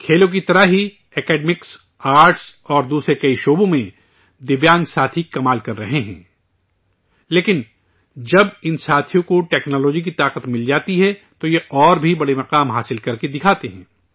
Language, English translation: Urdu, Just like in sports, in arts, academics and many other fields, Divyang friends are doing wonders, but when these friends get the power of technology, they achieve even greater heights